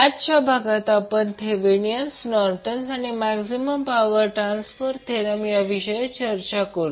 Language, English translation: Marathi, So in today’s session we will discuss about Thevenin’s, Nortons theorem and Maximum power transfer theorem